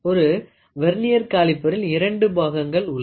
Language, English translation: Tamil, So, in a Vernier caliper, Vernier caliper consists of 2 parts